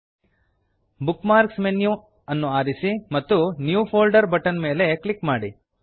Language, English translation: Kannada, * Select Bookmarks menu and click on New Folder